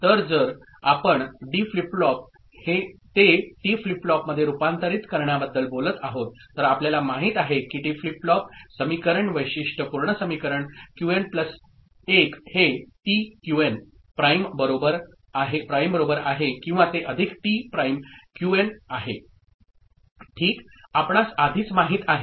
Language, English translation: Marathi, So, if we are talking about conversion of D flip flop to T flip flop, so we know the T flip flop equation characteristic equation to be Qn plus 1 is equal to T Qn prime OR that is plus T prime Qn ok, this is already you we know